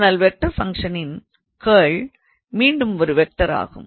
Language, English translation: Tamil, However, again the curl of a vector function is again a vector